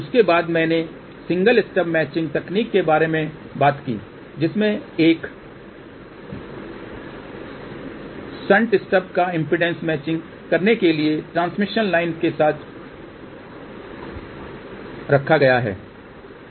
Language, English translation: Hindi, After that I talked about single stub matching technique in which a shunt stub is placed along with the transmission line to do the impedance matching